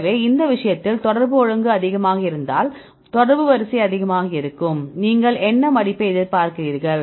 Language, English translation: Tamil, So, in this case we get the contact order is high if the contact order is high what do you expect the folding